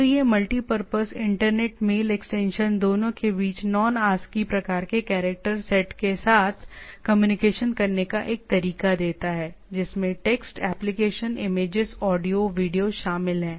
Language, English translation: Hindi, So this multipurpose internet mail extension gives a way to communicate between the two with Non ASCII type of character sets, right which comprises text, application, image, audio, video